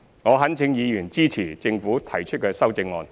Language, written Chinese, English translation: Cantonese, 我懇請議員支持政府提出的修正案。, I implore Members to support the amendments proposed by the Government